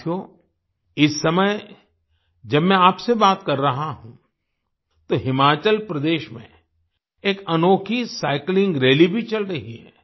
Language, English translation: Hindi, Friends, at this time when I am talking to you, a unique cycling rally is also going on in Himachal Pradesh